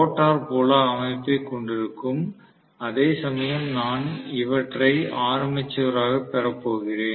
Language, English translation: Tamil, So, the rotor will house the field system, whereas I am going to have these as the armature